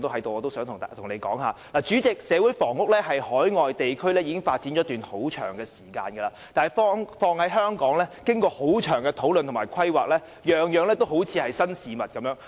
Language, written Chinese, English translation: Cantonese, 代理主席，社會房屋在海外地區已發展一段很長時間，但在香港經過了長時間的討論和規劃，卻依然像是新事物。, Deputy President while social housing has a long history of development in overseas countries it is still pretty new in Hong Kong though it has been discussed and planned for a long period of time